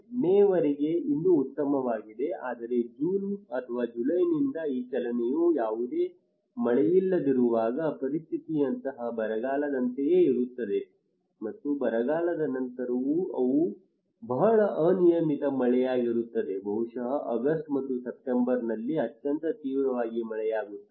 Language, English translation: Kannada, Until May is still fine but when this move from to June or July no rain then is almost like a drought like a situation and just after the drought they are very erratic rainfall maybe a very intensive rainfall during August and September